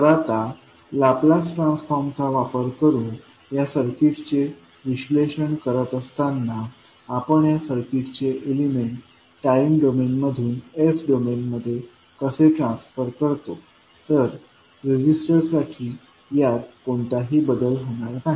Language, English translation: Marathi, Now, while doing this circuit analysis using laplace transform how we will transform, these are circuit elements from time domain to s domain for register it, there will not be any change